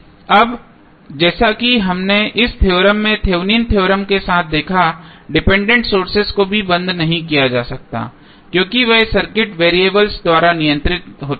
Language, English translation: Hindi, Now, as we saw with the Thevenm's theorem in this theorem also the dependent sources cannot be turned off because they are controlled by the circuit variables